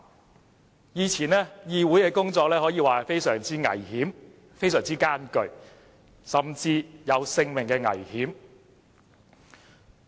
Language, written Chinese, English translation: Cantonese, 在以前，議會的工作可說相當危險和艱巨，甚至會有性命危險。, It was illegal to do so . In the old days business relating to the Parliamentary could be dangerous and difficult and it could even be lethal sometimes